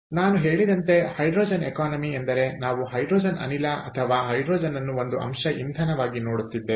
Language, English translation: Kannada, so, as i say, hydrogen economy means we are looking at hydrogen gas or hydrogen as an element, ah as a, as a fuel